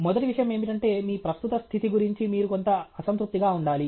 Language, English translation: Telugu, The first thing is you should be somewhat unhappy about your current state